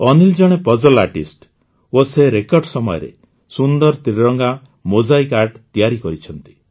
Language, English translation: Odia, Anil ji is a puzzle artist and has created beautiful tricolor mosaic art in record time